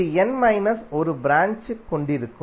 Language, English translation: Tamil, It will contain n minus one branches